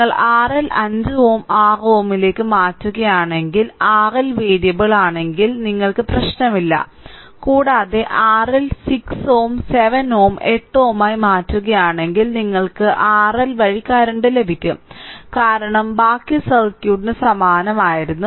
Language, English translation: Malayalam, If you change the R L to 5 ohm 6 ohm does not matter you will get if R L is variable and, if you change the R L to 6 ohm 7 ohm 8 ohm like this; you will get the current through R L, because rest of the circuit were even same